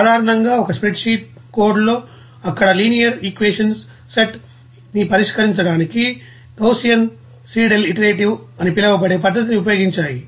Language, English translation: Telugu, Now a spreadsheet codes commonly used a method called the Gaussian Seidel you know iterative you know method to solve a set of linear equations there